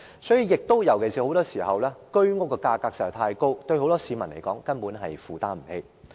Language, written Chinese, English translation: Cantonese, 所以，很多時候，居屋價格實在太高，很多市民根本無法負擔。, It turned out that in many cases the prices of HOS flats were so high that they have gone beyond the affordability of many members of the public